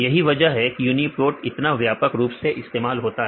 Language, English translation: Hindi, So, this is reason why Uniprot is widely used